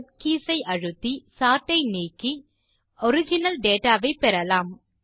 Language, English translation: Tamil, Lets press the CTRL+Z keys to undo the sort and get the original data